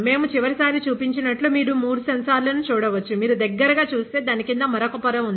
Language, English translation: Telugu, And you can see three sensors like we saw a last time; but if you look closely there is another layer below it, ok